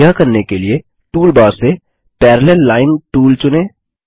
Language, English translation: Hindi, To do this select the Parallel Line tool from the toolbar